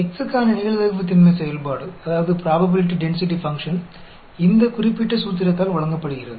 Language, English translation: Tamil, The probability density function f for x is given by this particular formula